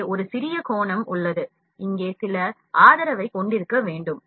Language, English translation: Tamil, In this, we have an little angle here like, we need to have some support here